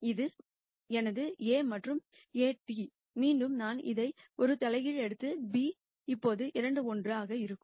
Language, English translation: Tamil, And this is my A and A transpose again I take an inverse of this and b now is 2 1